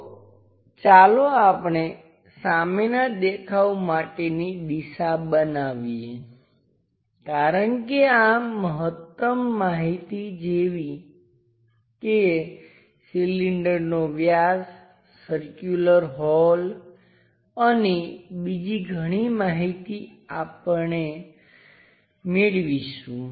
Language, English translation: Gujarati, So, let us make the front view direction as this maximum information like cylinder cylinder diameters, the circular holes and so on information we get it